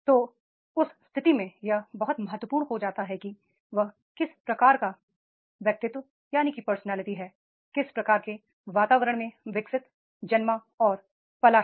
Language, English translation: Hindi, So in that case it becomes very very important that is the what type of the personality has developed, born and brought up into the what type of environment